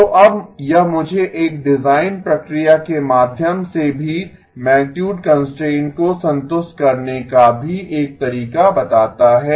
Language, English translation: Hindi, So now this tells me also a way to actually satisfy the magnitude constraint also through a design process